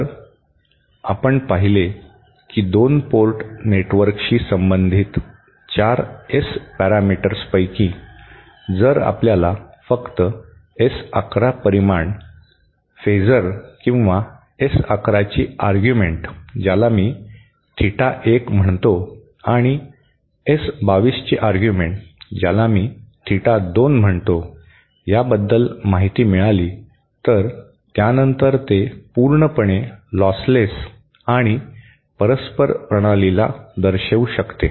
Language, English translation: Marathi, So, we saw that of the 4 S parameters associated with the 2 port network, if we just get information about S 11 magnitude, the phasor or the argument of S11 and argument of S22 which I call theta 2 and the argument of S11, I am calling theta 1